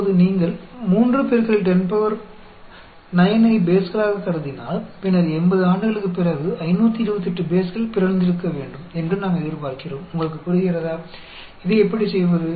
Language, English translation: Tamil, Now, if you assume 3 into 10 power 9 as bases, then, we would expect that after 80 years, there will be 528 bases that should have got mutated; do you understand, how do to do this